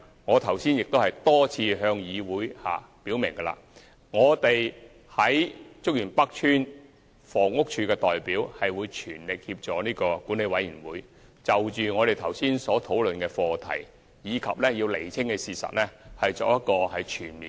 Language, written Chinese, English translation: Cantonese, 我剛才亦多次向議會表明，我們在竹園北邨的房委會代表會全力協助管委會，就我們剛才所討論的課題及要釐清的事實，作全面的調查檢討，以釋公眾疑慮。, As I have repeatedly said in the Legislative Council HAs representatives at Chuk Yuen North Estate will spare no effort in assisting the management committee to conduct a comprehensive investigation review the issues we have discussed earlier so as to clarify the facts and remove any doubt of the public